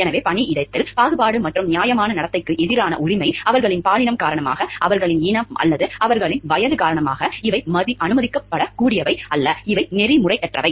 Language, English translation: Tamil, So, right against discrimination and fair treatment in the workplace, because of their gender, because their race or because of their age, these are not like permissible, these are unethical